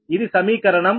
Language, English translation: Telugu, this is equation eighty two